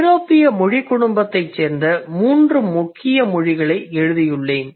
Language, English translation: Tamil, So I have kind of written three major languages that belong to European language family